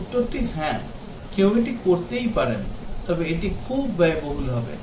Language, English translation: Bengali, The answer is that yes, somebody can do that but it will be very expensive